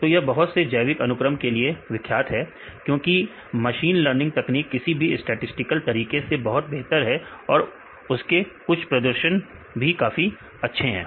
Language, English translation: Hindi, So they are popular in several biological applications because machine learning techniques work far better than this statistical methods; some of the performance also very high